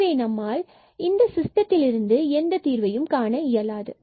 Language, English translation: Tamil, So, we cannot get a solution out of this system